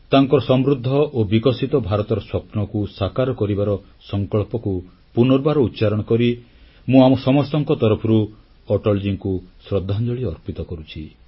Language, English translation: Odia, Reiterating our resolve to fulfill his dream of a prosperous and developed India, I along with all of you pay tributes to Atalji